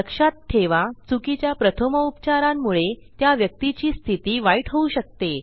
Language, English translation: Marathi, Remember, wrong first aid can make ones condition worse